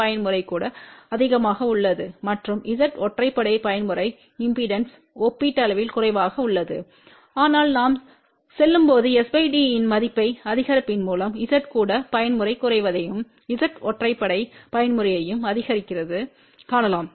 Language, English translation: Tamil, Even mode is higher and Z odd mode impedance is relatively lower , but as we go on increasing the value of s by d you can see that Z even mode decreases and Z odd mode increases